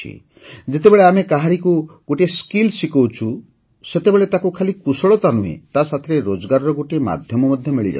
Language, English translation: Odia, When we teach someone a skill, we not only give the person that skill; we also provide a source of income